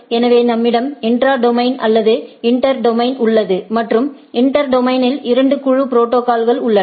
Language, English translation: Tamil, So, we have intra domain or inter domain and inter domain has two things, that two group of protocols